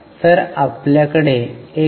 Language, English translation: Marathi, So, we get 1